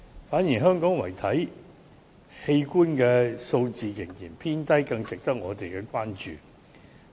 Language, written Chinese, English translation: Cantonese, 反而，香港遺體器官數字仍然偏低，是更加值得我們關注的。, On the contrary Hong Kongs cadaveric organ donation rate is on the low side which warrants more attention